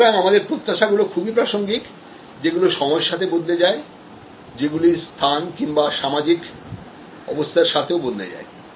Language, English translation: Bengali, So, our expectations are contextual, the change over time, the change according to location or social situation